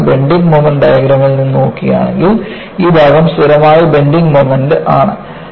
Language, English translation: Malayalam, So, if you look at, from the bending moment diagram, this portion is under constant bending movement